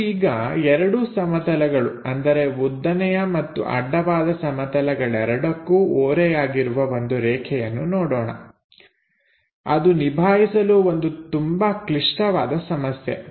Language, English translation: Kannada, Let us look at if a line is inclined to both vertical plane and horizontal plane, that will be more difficult problem to handle